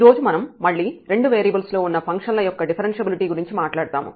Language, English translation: Telugu, And today we will talk about again Differentiability of Functions of Two Variables